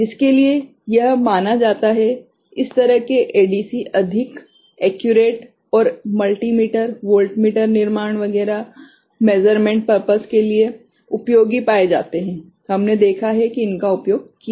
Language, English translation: Hindi, For which this are considered, this kind of ADCs are found to be more accurate and multi meter, voltmeter construction etcetera the measurement purposes, we have seen that these are used